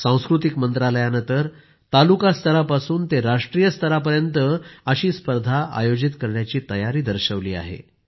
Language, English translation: Marathi, The Culture Ministry is geared to conduct a competition related to this from tehsil to the national level